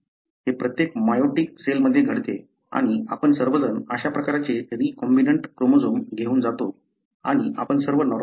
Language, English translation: Marathi, It happens in every meioticcell and we all carry this kind of recombinant chromosomes and we are all normal